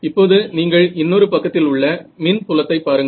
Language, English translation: Tamil, Now, on the other hand you look at the electric field what way is it